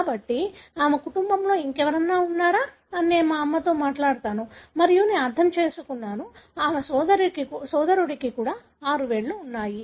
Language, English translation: Telugu, So, I would talk to my mother whether in her family anyone else had this and I understand and her brother also had six fingers